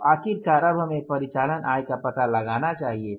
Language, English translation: Hindi, So, finally let us now find out the operating income